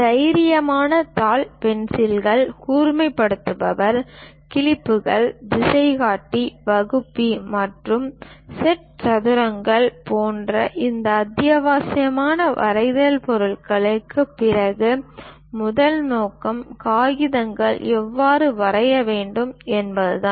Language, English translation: Tamil, After these essential drawing instruments like bold, sheet, pencils, sharpener, clips, compass, divider, and set squares, the first objective is how to draw letters